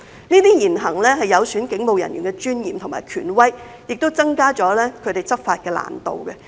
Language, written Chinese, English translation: Cantonese, 這些言行有損警務人員的尊嚴和權威，亦增加了他們執法的難度。, Such remarks and acts not only undermine the dignity and authority of police officers but also make it more difficult for them to discharge their law enforcement duties